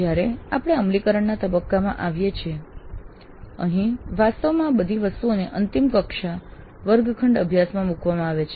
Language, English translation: Gujarati, Then we came to the implement phase where actually all these things really are put into the final classroom practice